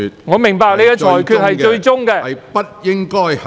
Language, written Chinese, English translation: Cantonese, 我明白你的裁決為最終決定。, I understand that your ruling is final